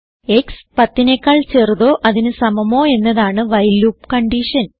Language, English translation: Malayalam, The condition of the while loop is x is less than or equal to 10